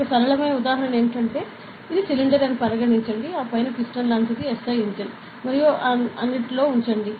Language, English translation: Telugu, One simple example is, consider this is a cylinder, then keeping a piston like in the SI engine and all ok